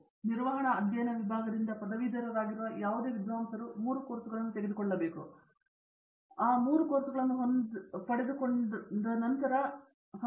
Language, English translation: Kannada, So, any scholar who is graduating from the department of management studies has to take three courses, earn the credits of which there are three courses which are core